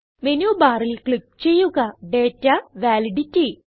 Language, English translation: Malayalam, Now, from the Menu bar, click Data and Validity